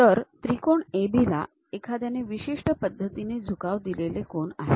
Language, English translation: Marathi, The triangle is AB perhaps someone is given with certain inclination angles